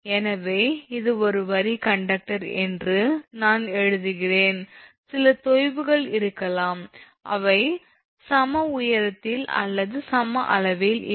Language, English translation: Tamil, So, and this is the line conductor assuming I mean some sag may be there may be they are not at the equal height or equal level